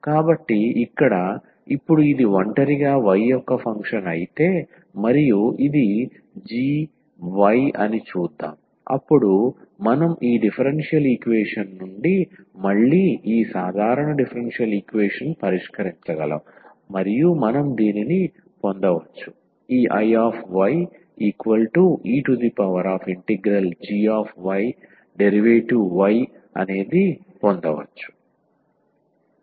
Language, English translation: Telugu, So, here now if it is a function of y alone this one and we say let us see this is g y, then we can solve this differential equation again this ordinary such a ordinary differential equation and we can get as this I y is equal to e power g y dy as the integrating factor